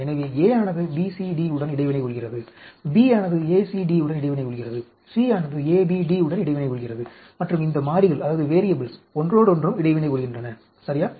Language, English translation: Tamil, So, A is interacting with BCD, B is interacting with ACD, C is interacting with ABD and these variables are also interacting with each other, ok